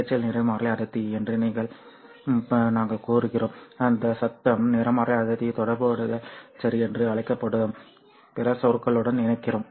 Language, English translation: Tamil, We say noise spectral density and we connect that noise spectral density to another term called as correlation